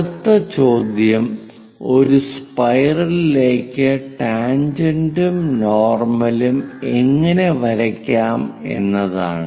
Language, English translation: Malayalam, The next question is how to draw tangent a normal to a spiral